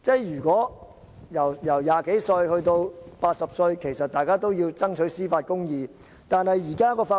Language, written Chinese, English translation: Cantonese, 由20多歲至80歲，大家都要爭取司法公義。, From our twenties to our eighties everyone of us should strive for judicial justice